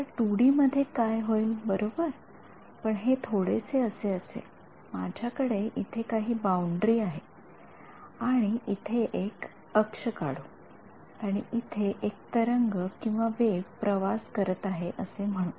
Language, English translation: Marathi, So, what happens in 2D right so, again it is something like this, I have some boundary over here and let us draw the an axis over here and let us say that there is a wave that is travelling like this